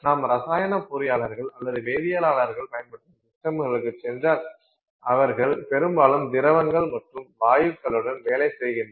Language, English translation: Tamil, If you go to systems used by chemical engineers or chemists, they are often working with liquids and gases